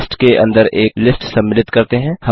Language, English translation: Hindi, Let us include a list within a list